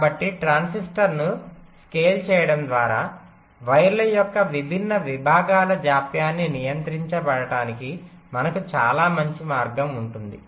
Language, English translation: Telugu, so just by scaling the transistor we can have a very nice way of controlling the delays of the different segments of the wires, right